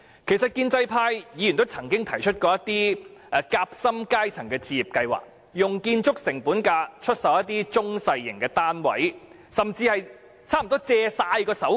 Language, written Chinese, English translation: Cantonese, 建制派議員曾經提出一些夾心階層置業計劃，建議用建築成本價出售一些中小型單位，甚至貸款予申請者用作支付首期。, Pro - establishment Members have proposed certain sandwich class home ownership schemes under which small and medium - sized flats are proposed to be sold at construction cost and even loans are provided to applicants as down payments